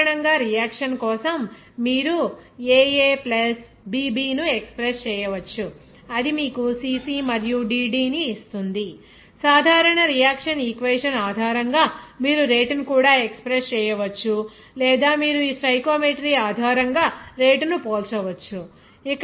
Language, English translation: Telugu, Now, in general for the reaction, you can express this aA + bB that will give you the cC and dD, the general reaction equation and based on these, you can also express the rate or you can compare the rate based on this stoichiometry